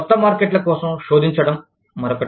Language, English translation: Telugu, Search for new markets, is another one